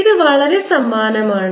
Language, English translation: Malayalam, this is very similar